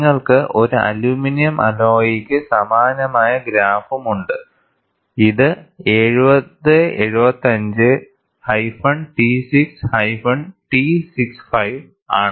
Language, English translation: Malayalam, And you also have a similar graph for an aluminum alloy; this is 7075t6t65